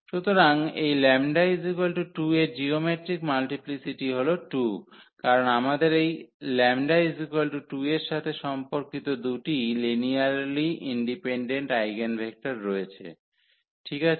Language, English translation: Bengali, So, the geometric multiplicity of this lambda is equal to 2 is 2, because we have two linearly independent eigenvectors corresponding to this lambda is equal to 2 ok